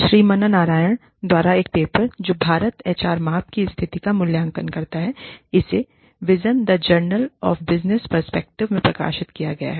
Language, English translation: Hindi, which evaluates, the status of HR measurement in India, published in, Vision, The Journal of Business Perspectives